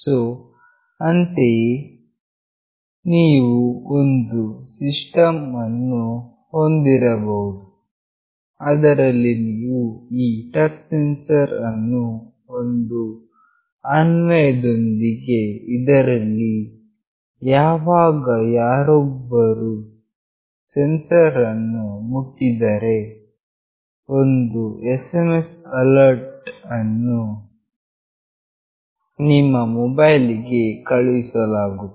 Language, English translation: Kannada, So, accordingly you can have a system where you can put this touch sensor along with the application where whenever somebody touches the sensor an SMS alert will be sent to your mobile